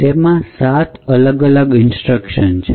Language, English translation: Gujarati, It comprises of 7 different instructions